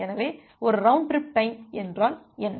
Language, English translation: Tamil, So, what is a round trip time